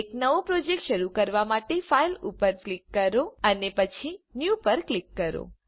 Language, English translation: Gujarati, To start a new project, click on File and then click on New